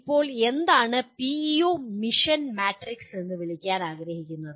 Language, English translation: Malayalam, Now what do we want to call by PEO mission matrix